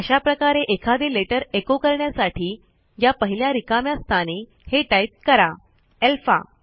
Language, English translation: Marathi, So , to echo out our letter, if I am going to replace the first blank with alpha